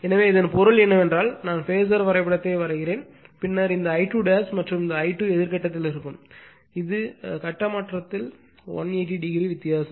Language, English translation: Tamil, So that means, I when you will draw the phasor diagram then this I 2 dash and this I 2 will be in anti phase that is 180 degree difference of phaseshift